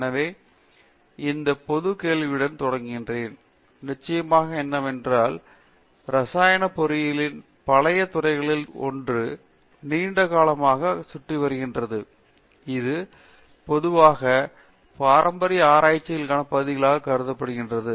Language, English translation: Tamil, So, let me begin with this general question, what are you know, of course chemical engineering is one of the old fields of engineering has been around for a long time, what are typically considered as a traditional areas of research which have been there for a very long time in chemical engineering